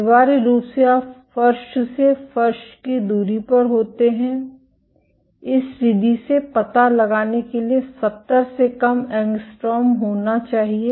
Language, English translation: Hindi, Essentially you are floor to floor distance has to be less than 70 angstroms to be detected by this method